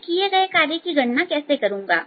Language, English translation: Hindi, how do i calculate the work done